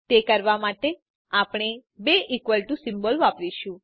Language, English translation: Gujarati, To do that, we use two equal to symbols